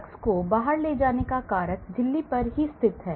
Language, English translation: Hindi, Throwing out drugs away and they are located at the membranes